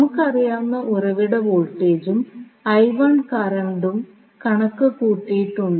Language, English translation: Malayalam, So, source voltage we know current I1 we have calculated